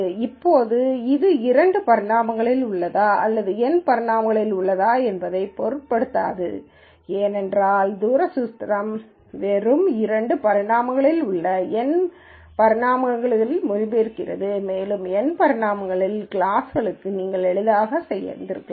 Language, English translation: Tamil, Now, just as a quick note whether this is in two dimensions or N dimensions it really does not matter because the distance formula simply translates and you could have done that for two classes in N dimensions as easily